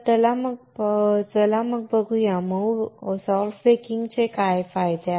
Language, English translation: Marathi, So, let us see what is the advantage of doing soft baking